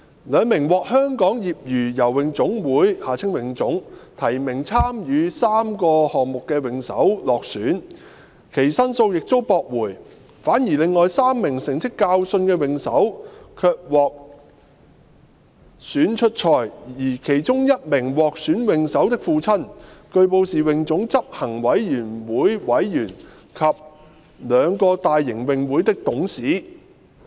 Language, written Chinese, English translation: Cantonese, 兩名獲香港業餘游泳總會提名參與3個項目的泳手落選，其上訴亦遭駁回；反而另外3名成績較遜的泳手卻獲選出賽，而其中1名獲選泳手的父親據報是泳總執行委員會委員及兩個大型泳會的董事。, Two swimmers nominated by the Hong Kong Amateur Swimming Association HKASA to participate in three events were not selected and their appeals were also dismissed . On the contrary three other swimmers with inferior results were selected to participate in the competitions and it was reported that the father of one of the selected swimmers was a member of the Executive Committee of HKASA and a director of two big swimming clubs